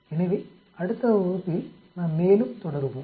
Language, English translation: Tamil, So we will continue more in the next class